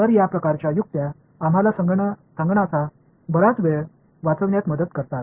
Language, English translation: Marathi, So, these kinds of tricks, they help us to save a lot of computational time right